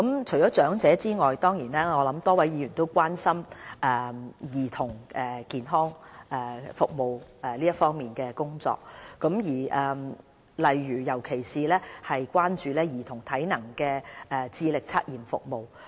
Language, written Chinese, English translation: Cantonese, 除長者外，多位議員亦關心兒童健康服務方面的工作，尤其是關注兒童體能智力測驗服務。, Apart from the elderly services a number of Members have raised concern over the child health services particularly the Child Assessment Service CAS